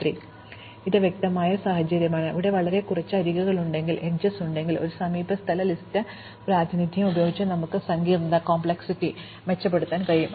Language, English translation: Malayalam, So, this is clearly a situation, where if we have very few edges, we can improve the complexity by using an adjacency list representation instead of an adjacency matrix representation